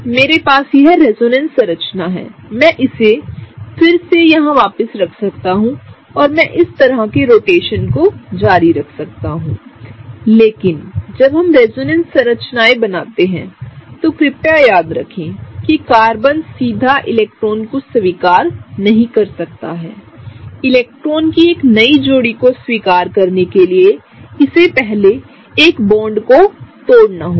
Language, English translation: Hindi, So, what I have is this particular resonance structure, I can again put this one back here and I can continue doing this kind of rotation, but when we draw resonance structures please remember that in order for the carbon to accept, it cannot just accept it; it has to break a bond in order to accept the new pair of electrons